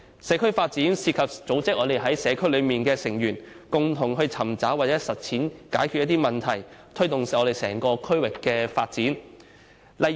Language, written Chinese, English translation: Cantonese, 社區發展涉及組織社區內的成員，共同尋找和實踐解決問題的方法，推動整個區域的發展。, This involves organizing members of the community together to identify problems and implement solutions to them thus promoting the development of the district as a whole